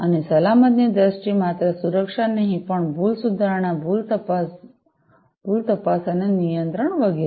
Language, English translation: Gujarati, And, in terms of security not only security, but also error correction, error detection, error detection and control etcetera